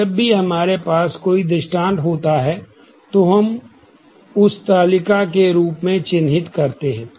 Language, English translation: Hindi, Now, whenever we have an instance, we mark that as a table and every such table